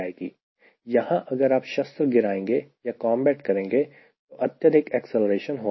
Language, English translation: Hindi, some weapon drop will be there, or when you do a combat a lot of high acceleration may happen